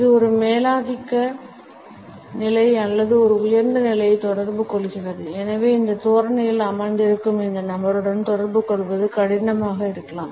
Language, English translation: Tamil, It also communicates a dominant position or a superior position and therefore, it may be difficult to relate to this person who is sitting in this posture